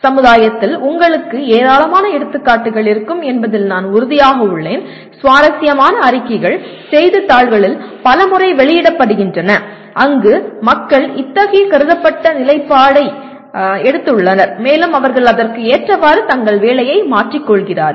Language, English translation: Tamil, I am sure you will have plenty of examples in the society and many times lots of interesting reports are published in the newspapers where people have taken such considered stand and they change their careers to work like that